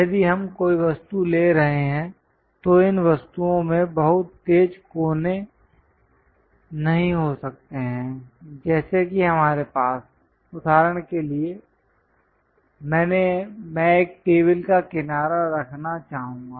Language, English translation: Hindi, If we are taking any objects, these objects may not have very sharp corners something like if we have for example, I would like to have a table edge